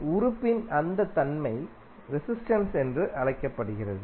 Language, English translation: Tamil, So, that property of that element is called resistance